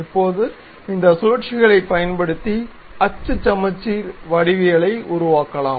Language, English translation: Tamil, Now, using this revolve, we can construct axis symmetric geometries